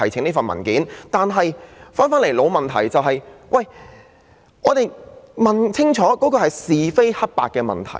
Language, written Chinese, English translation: Cantonese, 不過，回到一個老問題，就是要弄清是非黑白的問題。, However let us get back to the old question―the need to thrash out the rights and wrongs